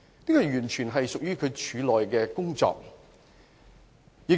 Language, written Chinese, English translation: Cantonese, 這完全屬於廉署的內部事宜。, This is entirely an internal issue under the purview of ICAC